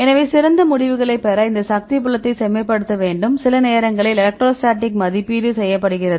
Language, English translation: Tamil, So, you need to refine this force field right to get the better results sometimes the electrostatic is over estimated